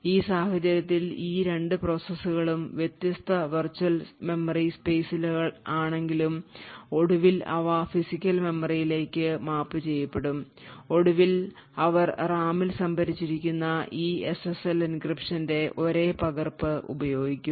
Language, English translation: Malayalam, Eventually although these 2 processes are at different virtual memory spaces, eventually when they get mapped to physical memory they would eventually use the same copy of this SSL encryption which is stored in the RAM